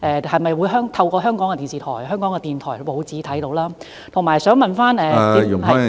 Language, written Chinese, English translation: Cantonese, 是否可以透過香港的電視台、香港電台和報章上看到？, Do we have access to it through the television channels Radio Television Hong Kong and newspapers in Hong Kong?